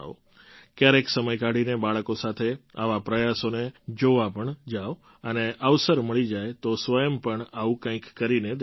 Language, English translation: Gujarati, Take out some time and go to see such efforts with children and if you get the opportunity, do something like this yourself